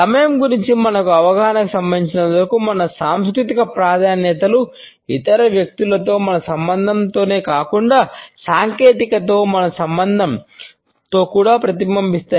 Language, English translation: Telugu, Our cultural preferences as far as our understanding of time is concerned are reflected not only in our relationship with other people, but also in our relationship with technology